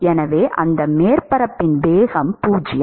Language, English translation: Tamil, So, the velocity of that surface is 0 right